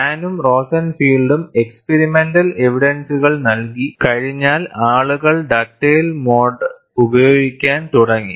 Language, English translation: Malayalam, Once Hahn and Rosenfield provided the experimental evidence, people started using Dugdale mode